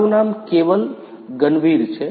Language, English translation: Gujarati, My name is Keval Ganvir